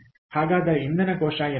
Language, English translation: Kannada, so what is the fuel cell